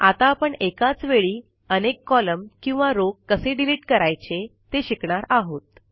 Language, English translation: Marathi, Now lets learn how to delete multiple columns or rows at the same time